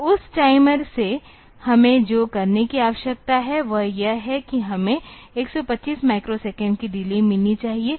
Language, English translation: Hindi, So, what we need to do from that timer is that we need to have a delay of 125 microsecond